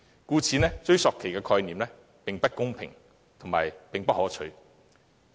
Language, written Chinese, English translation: Cantonese, 故此，追溯期的概念既不公平亦不可取。, The concept of a retrospective period is therefore unfair and undesirable